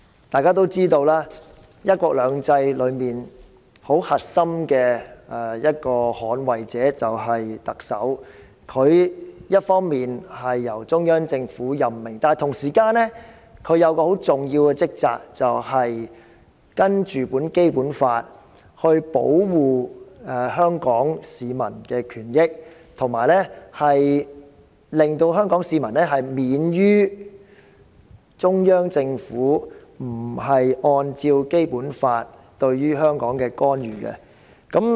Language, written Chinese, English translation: Cantonese, 大家知道，"一國兩制"中很核心的捍衞者便是特首，她一方面由中央政府任命，但同時也有很重要的職責，按照《基本法》保護香港市民的權益，以及令香港市民免受中央政府不是按照《基本法》而對香港作出的干預。, We know that a core defender of one country two systems is the Chief Executive . She is on the one hand appointed by the Central Government . On the other hand she shoulders the vital responsibilities of safeguarding the interests of Hong Kong people under the Basic Law and protecting Hong Kong people from the interference of the Central Government when the latter is not acting in accordance with the Basic Law